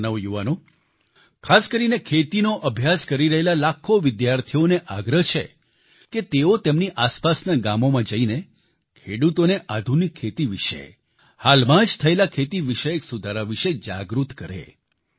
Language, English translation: Gujarati, To the youth, especially the lakhs of students who are studying agriculture, it is my request that they visit villages in their vicinity and talk to the farmers and make them aware about innovations in farming and the recent agricultural reforms